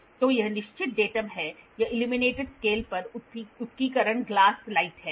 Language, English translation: Hindi, So, this is the fixed datum this is the illuminated scale engraving glass light